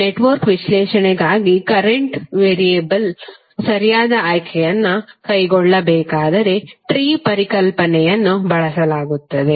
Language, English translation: Kannada, The concept of tree is used were we have to carry out the proper choice of current variable for the analysis of the network